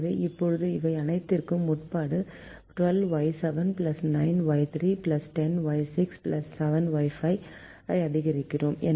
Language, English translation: Tamil, so we now maximize twelve y seven plus nine y three plus ten y six plus seven y five, subject to all of these